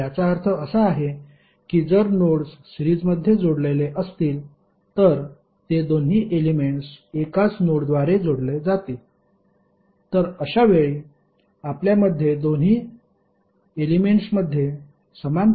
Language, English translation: Marathi, So it means that if the nodes are connected in series then they both elements will connected through one single node, So in that case you have the same current flowing in the both of the elements